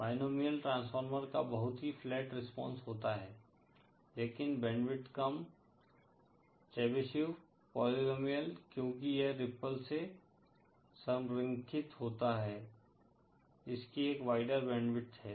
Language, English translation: Hindi, Binomial transformer has a very flat response but lesser band width, Chebyshev polynomial because it is aligned from ripple; it has a wider band width